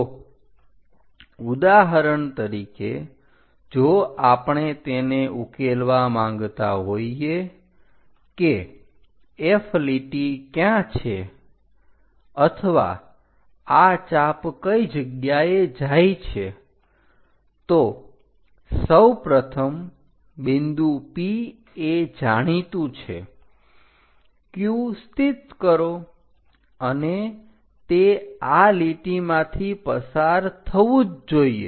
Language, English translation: Gujarati, So, for example, if I want to figure it out where this F line or arc might be going; first of all P point is known, locate Q, and it has to pass through these lines